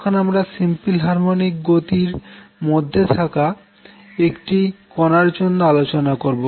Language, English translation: Bengali, Now for a particle that is performing a simple harmonic motion